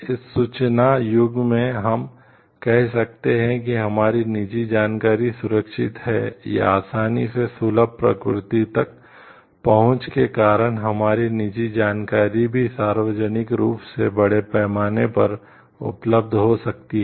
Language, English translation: Hindi, In this information age can we say like our private information is safe, or because of the access easily accessible nature the our private information s are also accessible to the may be public at large